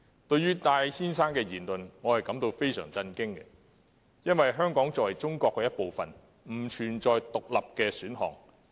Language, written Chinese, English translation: Cantonese, 對於戴先生的言論，我感到十分震驚，因為香港作為中國一部分，並不存在"獨立"的選項。, I was extremely shocked by Mr TAIs remark since Hong Kong as part of China does not have independence as one of its options